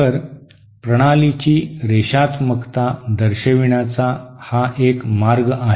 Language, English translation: Marathi, So this is one way of characterizing the linearity of a system